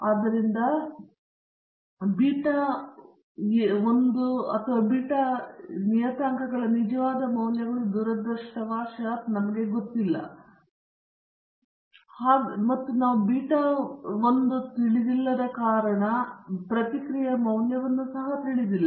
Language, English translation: Kannada, So, beta naught and beta 1 are the true values of the parameters which unfortunately we do not know; and since we do not know beta naught and beta 1, we also do not know the value of the response y